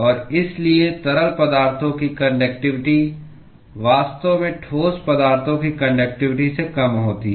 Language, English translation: Hindi, And therefore, the conductivity of liquids is actually smaller than that of conductivity of the solids